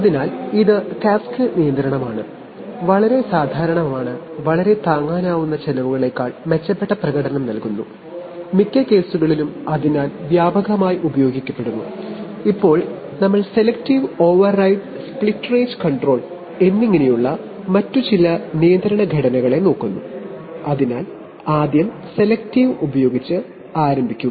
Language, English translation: Malayalam, So this is cascade control very, very common and give significant performance in improvements over very affordable costs, in most cases and therefore a widely used, now we look at some other control structures namely selective override and split range control, so first start with selective control